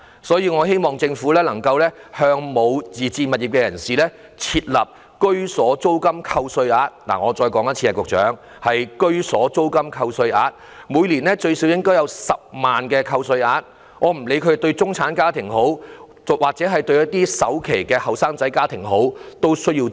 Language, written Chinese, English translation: Cantonese, 所以，我希望政府能夠向沒有自置物業的人士設立居所租金扣稅額——局長，容我再說一次，是居所租金扣稅額——每年最少應有10萬元扣稅額，以供不論是中產家庭或需要儲首期的年青家庭申請。, Therefore I hope the Government can provide those who have not acquired their homes with a tax deduction for rents of residence . Secretary let me repeat it is a tax deduction for rents of residence with an annual deduction capped at 100,000 made open for application by households which need to save up down payments such as middle - class families or young families